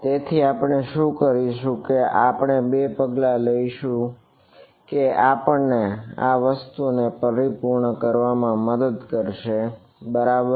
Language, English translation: Gujarati, So, what we will do is we will we will take consider 2 steps which will help us to accomplish this thing ok